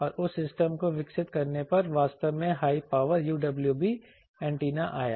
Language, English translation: Hindi, And on developing that system actually came the high power UWB antennas